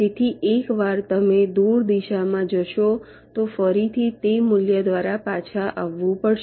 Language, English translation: Gujarati, so once you go go to the to the away direction, will have to again come back by that amount